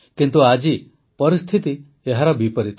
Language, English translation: Odia, But, today the situation is reverse